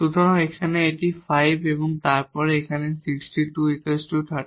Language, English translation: Bengali, So, here it is 5 and then here 6 square 36 plus 9 45